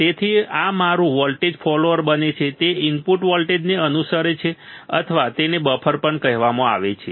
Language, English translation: Gujarati, So, this becomes my voltage follower it follows the voltage at the input or it is also called buffer right it is also called buffer